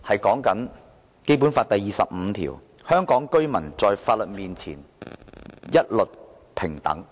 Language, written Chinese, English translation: Cantonese, 《基本法》第二十五條訂明，香港居民在法律面前一律平等。, Article 25 of the Basic Law stipulates that all Hong Kong residents shall be equal before the law